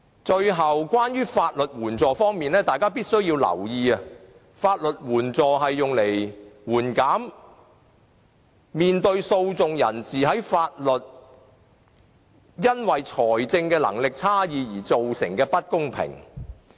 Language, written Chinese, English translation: Cantonese, 最後，關於法律援助方面，大家必須留意，法律援助是用來緩減訴訟人士面對法律時因為財政能力差異而造成的不公平。, Lastly as to legal aid we should note that the purpose of legal aid services is to help litigants to mitigate the inequality due to a disparity in financial strength